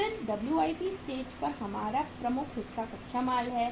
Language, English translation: Hindi, Then at WIP stage our major chunk is the raw material